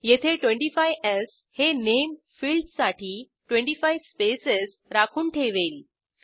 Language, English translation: Marathi, Here 25s will reserve 25 spaces for Name field